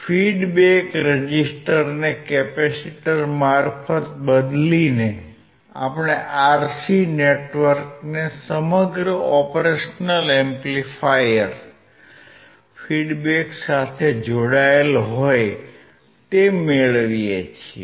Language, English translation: Gujarati, By replacing the feedback resistance with a capacitor, we get the RC network connected across the operational amplifier feedbacks